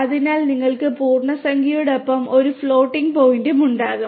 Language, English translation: Malayalam, So, you can have a floating point along with integer and so on